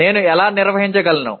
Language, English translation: Telugu, How do I manage